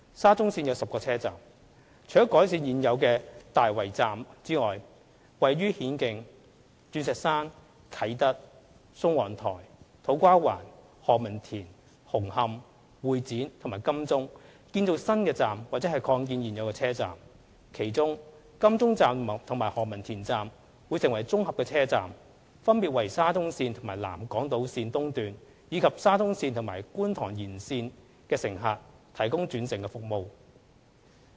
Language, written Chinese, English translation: Cantonese, 沙中線設有10個車站，除改善現有的大圍站外，亦會於顯徑、鑽石山、啟德、宋皇臺、土瓜灣、何文田、紅磡、會展和金鐘建造新站或擴建現有車站，其中金鐘站和何文田站會成為綜合車站，分別為沙中線和南港島線，以及沙中線和觀塘線延線的乘客提供轉乘服務。, SCL will have 10 stations . Apart from bringing improvements to the existing Tai Wai Station the SCL project will involve construction of new stations or extension of existing stations at Hin Keng Diamond Hill Kai Tak Sung Wong Toi To Kwa Wan Ho Man Tin Hung Hom Exhibition Centre and Admiralty . Among them Admiralty Station and Ho Man Tin Station will become integrated stations providing interchange service to passengers of SCL and the South Island Line East and passengers of SCL and Kwun Tong Line Extension respectively